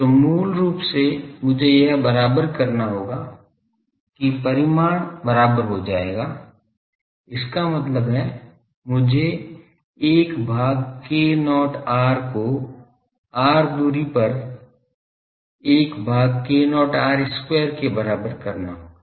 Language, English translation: Hindi, So, basically I will have to equate this the magnitude will become equal that means, I will have to make 1 by k not r is equal to 1 by k not r square at the distance of r it will be equal